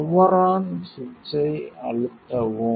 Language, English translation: Tamil, Switch on the power on press the power on switch